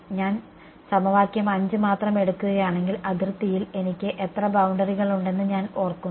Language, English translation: Malayalam, If I take only equation 5 I remember I have how many edges on the boundary